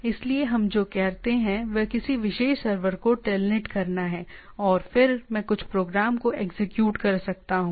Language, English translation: Hindi, So what we what we do telnet to a particular server and then I can execute some program right